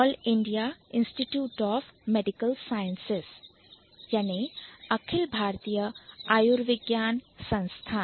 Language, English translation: Hindi, All India Institute of Medical Sciences